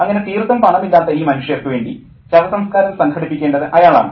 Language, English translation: Malayalam, So, he is the one who has to organize the funeral for these people who are completely penniless